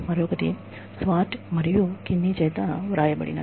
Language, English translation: Telugu, The other is, by Swart, and Kinnie